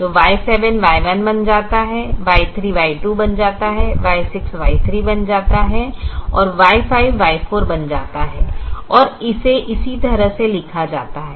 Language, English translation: Hindi, the variables are renamed so y seven becomes y one, y three becomes y two, y six becomes y three, y five becomes y four, and it is rewritten this way